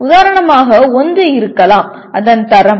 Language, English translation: Tamil, For example one may be its quality